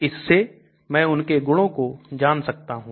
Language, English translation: Hindi, So I can know their properties